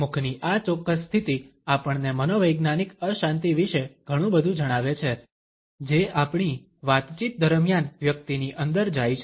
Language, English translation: Gujarati, This particular position of mouth also tells us a lot about the psychological turbulence which goes on inside a person during our conversations